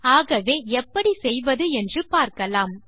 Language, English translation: Tamil, So lets learn how to do all of this